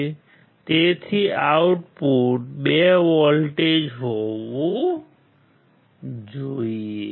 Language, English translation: Gujarati, So, output should be 2 volts